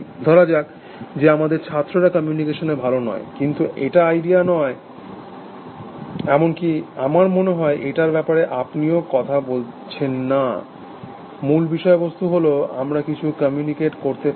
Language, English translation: Bengali, Let us say that our students are not good at communications essentially, but that is not the idea, even that is not about your talking about I think, the very fact that we can, communicate something